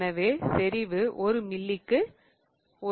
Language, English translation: Tamil, So, concentration is gram per ml